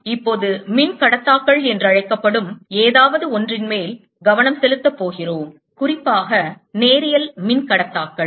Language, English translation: Tamil, we have now going to concentrate on something called the dielectrics and in particular linear dielectrics